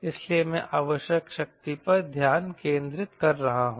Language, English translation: Hindi, so i focusing on power required